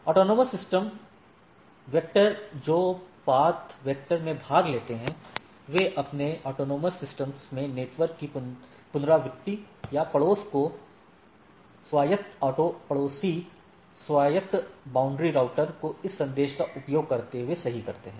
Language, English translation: Hindi, AS routers that participant in the path vector advertise the reachability of the networks in their autonomous systems or ASes to the neighbors autonomous auto neighbor autonomous boundary routers using this messages right